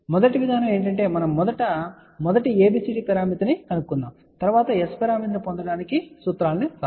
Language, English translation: Telugu, So, first approaches we are going to actually find out first ABCD parameter and then we use the formulas to get S parameter